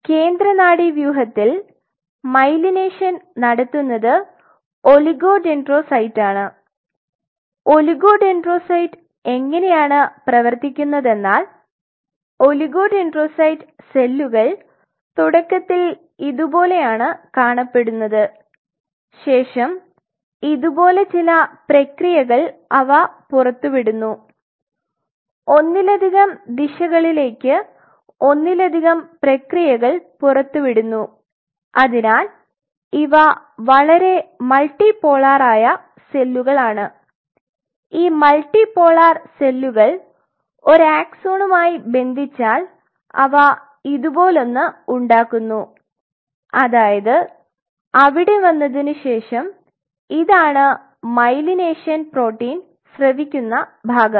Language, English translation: Malayalam, Being the central nervous system the myelination is carried out by oligodendrocyte and the way oligodendrocyte works is that oligodendrocyte cells have they resemble something like this initially they look like this and then they send out processes like this multiple processes on multiple directions very multipolar cells and these multipolar cells after coming in contact with any axon they form something like this, that is after coming there and this is the part where they secrete the myelination protein